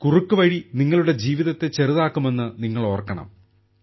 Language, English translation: Malayalam, You guys remember that shortcut can cut your life short